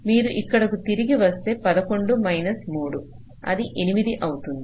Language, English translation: Telugu, so if you go back here it will be seventeen minus six, it will be eleven